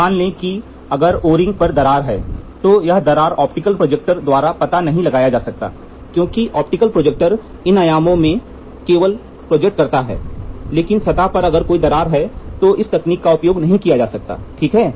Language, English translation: Hindi, Suppose if there is a crack on an O ring if there is a crack, this cannot be detected by the optical projector because optical projector projects these dimensions only, but on the surface if there is a crack, this technique cannot be used, ok